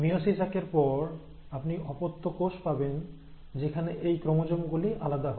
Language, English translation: Bengali, So after meiosis one, you will have daughter cells where these chromosomes would have segregated